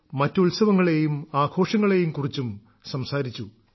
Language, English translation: Malayalam, We also discussed other festivals and festivities